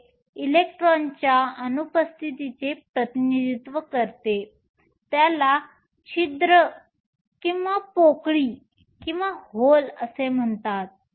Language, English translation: Marathi, This represents the absence of an electron is called a hole